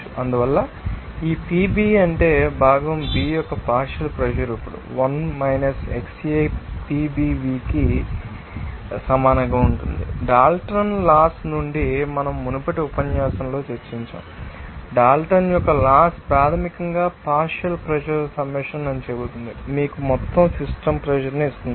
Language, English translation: Telugu, So, that is why these PB that means, partial pressure of the component B will be equal to PBv now, from Dalton’s law that we have discussed in our earlier you know, lecture that Dalton’s law basically says that the summation of partial pressures will give you that total system pressure